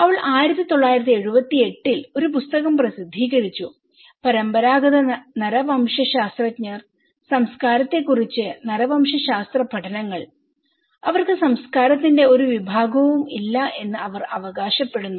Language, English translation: Malayalam, She published a book in 1978 and claiming that the traditional anthropologists; anthropological studies on culture, they are lacking any category of culture